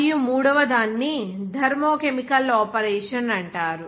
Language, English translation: Telugu, And the third one is called Thermochemical operation